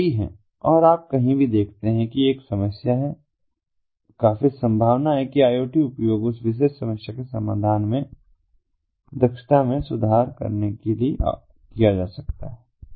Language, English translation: Hindi, the number is many and you know, anywhere that you see there is a problem, iot is quite likely can be used in order to improve the efficiency of the solution to that particular problem